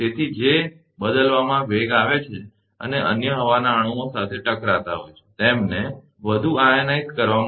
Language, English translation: Gujarati, So, which are in turn accelerated and collide with other air molecules, to ionize them further